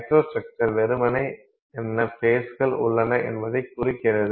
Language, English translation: Tamil, Microstructure simply indicates what phases are present